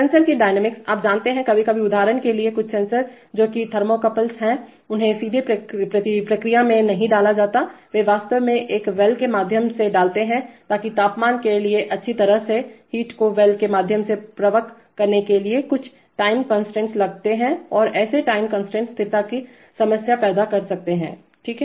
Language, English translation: Hindi, Sensor dynamics, you know, sometimes some sensors for example thermocouples they are, they are not directly put into the process, they actually put through a well, so that well to, for the temperature to, for the heat to flow through the well it takes time constants and such time constant can cause stability problems, right